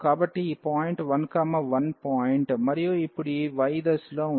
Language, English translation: Telugu, So, this was the point the 1 1 point and in the direction of this y now